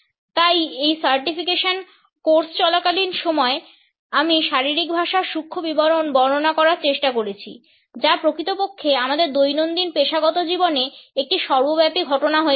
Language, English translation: Bengali, So, during this certification course I have attempted to delineate the nuance details of body language which indeed has become an omnipresent phenomenon in our daily professional life